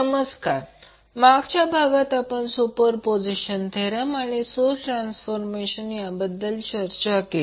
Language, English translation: Marathi, Namaskar, so in the last class we discussed about Superposition Theorem and the source transformation